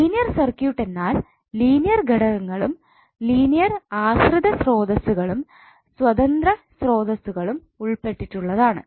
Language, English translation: Malayalam, Linear circuit is the circuit which contains only linear elements linear depended sources and independent sources